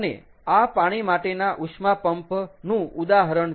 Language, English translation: Gujarati, ok, and this one is an example of water water heat pump